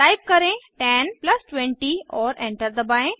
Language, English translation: Hindi, Type 10 plus 20 and press Enter